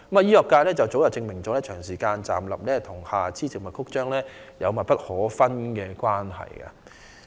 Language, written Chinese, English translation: Cantonese, 醫學界早已證明，長時間站立與下肢靜脈曲張有密不可分的關係。, The medical sector has already proven that prolonged standing has an indispensable relationship with lower limb varicose vein diseases